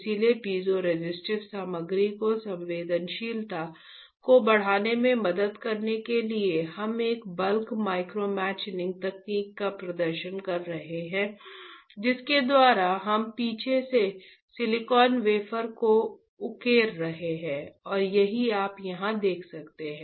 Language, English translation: Hindi, So, to help increase the sensitivity of the piezoresistive material, we are performing a bulk micromachining technique, by which we are etching the silicon wafer from the backside and this is what you can see right over here, alright